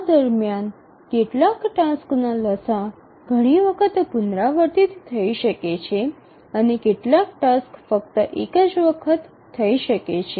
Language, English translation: Gujarati, During this LCM, some tasks may repeat multiple number of times and some tasks may just occur only once